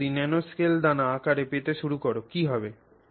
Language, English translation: Bengali, So, if you start going to nanoscale grain size, what is happening